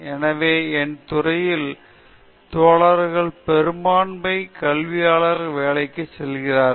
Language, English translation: Tamil, So, most of the guys in my field are going for a teaching job